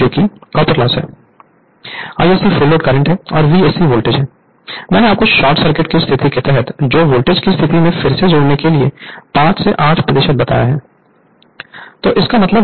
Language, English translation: Hindi, I s c is the Full load current and V s c is the the voltage; what I told you reconnect under short circuit condition to the low voltage side that is 5 to 8 percent right